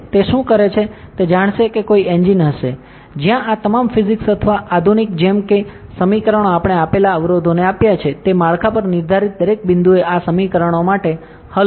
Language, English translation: Gujarati, What it does is it will know have an engine, where all these physics or modern as equations we given the constraints that we have given, it will solve for these equations at every point defined on the structure